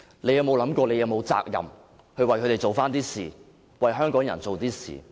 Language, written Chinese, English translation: Cantonese, 她有否想過自己是否有責任，為他們做一點事，為香港人做一點事？, But has it ever occurred to her that she has the duty to do something for them and for Hong Kong people?